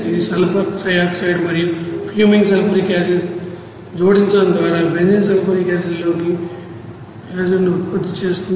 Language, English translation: Telugu, That produces benzene sulphonic acid by adding sulfur trioxide and fuming sulfuric acid